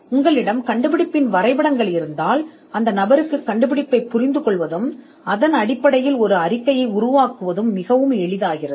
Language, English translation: Tamil, If you have drawings of the invention, then it becomes much easier for the person to understand the invention and to generate a report based on that